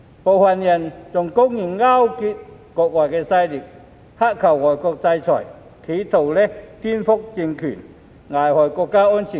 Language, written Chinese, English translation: Cantonese, 部分人更公然勾結外國勢力，乞求外國制裁，企圖顛覆政權、危害國家安全。, Some of them even blatantly colluded with foreign forces and begged for foreign sanctions attempting to subvert the state power and jeopardizing national security